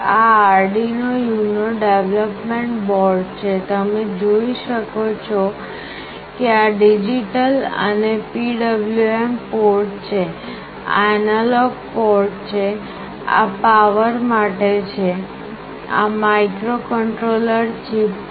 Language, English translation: Gujarati, This is the Arduino UNO development board; you can see these are the digital and PWM ports, this is the analog ports, this is for the power, this is the microcontroller chip